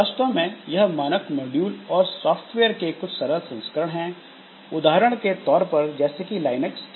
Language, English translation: Hindi, So these are actually some simplified version of standard, so, modules and software that we have in, say, for example, in Linux